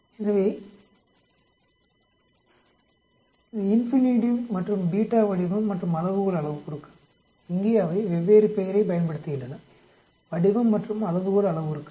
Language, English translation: Tamil, So alpha and beta are the shape and scale parameters here they use different name shape and scale parameters